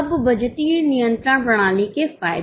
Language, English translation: Hindi, Now the advantages of budgetary control system